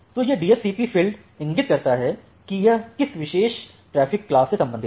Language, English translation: Hindi, So, this DSCP field which indicates that in which particular traffic class it belongs to